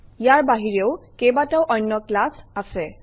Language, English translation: Assamese, There are several other classes as well